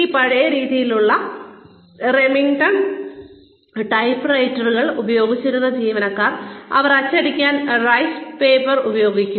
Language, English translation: Malayalam, And employees, who have been used to this old style, Remington typewriters, that go, cut, cut, cut and they use rice paper for printing